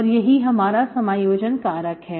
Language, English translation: Hindi, So this is my integrating factor